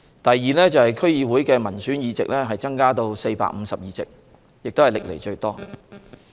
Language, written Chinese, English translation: Cantonese, 第二，區議會民選議席增至452席，也是歷來最多。, Second the number of elected seats in DCs has increased to 452 which is also a record high